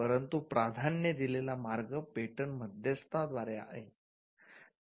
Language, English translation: Marathi, But the preferred route is through a patent agent